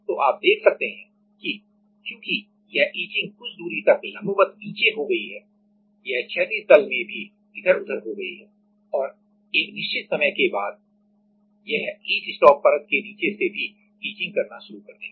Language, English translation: Hindi, So, you can see that as it has gone down vertically to some etching distance it has gone sideways also and after certain time it will start etching from the bottom of the etch stop layer also